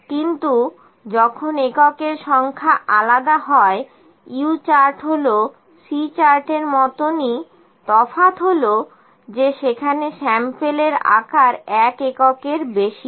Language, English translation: Bengali, But when the number of units are different, U chart is like a C chart except the sample size is greater than one unit